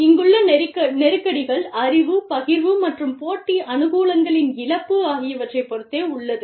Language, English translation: Tamil, The tensions here are, the knowledge sharing, versus, loss of competitive advantage